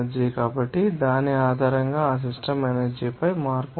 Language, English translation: Telugu, So, based on which there will be changed on that system energy